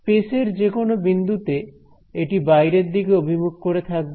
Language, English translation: Bengali, So, everywhere in at any point in space it is pointing outwards over here